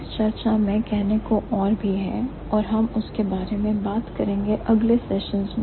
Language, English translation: Hindi, There are more to add into the discussion and we are going to talk about it in the next sessions